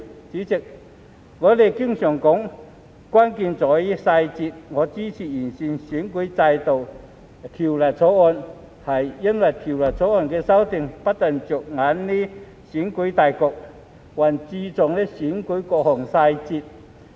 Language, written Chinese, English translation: Cantonese, 主席，我們經常說"關鍵在於細節"，我支持《條例草案》，因為《條例草案》的修訂不單着眼於選舉大局，還注重選舉的各項細節。, President we often say that the key lies in the details . I support the Bill because the amendments therein have not only focused on the overall situation of elections but also put emphasis on the details of elections